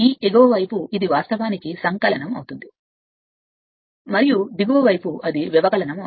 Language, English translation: Telugu, So, this upper side it is actually additive, and the lower side it is subtractive